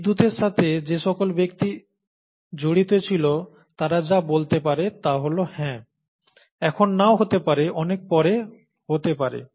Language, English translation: Bengali, And all the, all that the people could say who were involved with electricity is yes, may not be now, may be much later